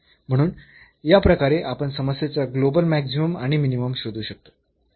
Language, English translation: Marathi, So, in this way we can find the global maximum and minimum of the problem